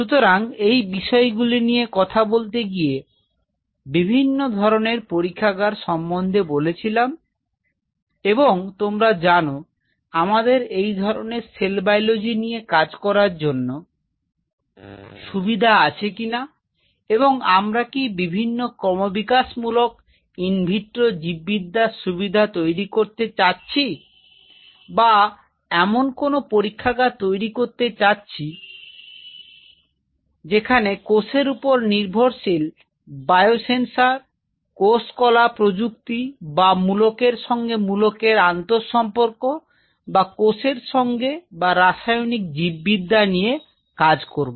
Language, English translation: Bengali, So, in that aspect we talked about the different kinds of lab like you know whether we have a cell biology facility, wanted to develop or in vitro development biology facilities if you want to develop or you have a lab on cell based biosensors, cell tissue engineering like mostly on the material interaction with the cells or chemical biology